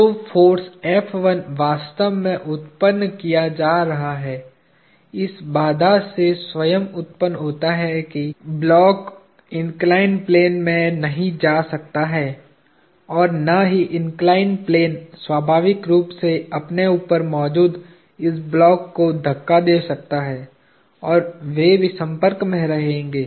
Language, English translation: Hindi, So, the force F1 is actually being generated, is self generated from the constraint that the block cannot go into the inclined plane and neither can inclined plane naturally push the block above it and that they would too remain in contact